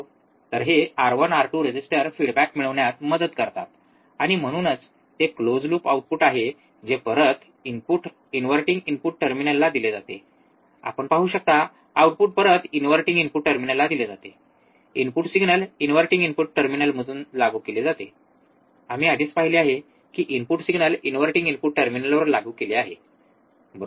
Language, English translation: Marathi, So, this R 1 R 2 resistors help to get a feedback, and that is why it is a close loop output is fed back to the inverting input terminal you can see output is fed back to the inverting input terminal, input signal is applied from inverting input terminal we have already seen the input signal is applied to the inverting input terminal, right